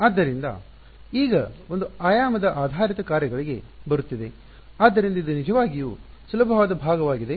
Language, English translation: Kannada, So, now coming to one dimensional basis functions so, this is really easy part